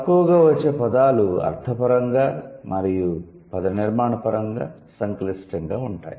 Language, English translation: Telugu, Less frequent terms are semantically and morphologically complex